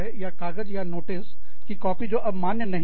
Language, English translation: Hindi, Or, papers or copies of notices, that are no longer valid